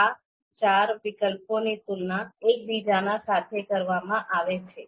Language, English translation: Gujarati, So these four alternatives are to be you know compared with each other